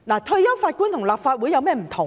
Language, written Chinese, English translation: Cantonese, 退休法官和立法會有甚麼不同呢？, What is the difference between a retired judge and the Legislative Council?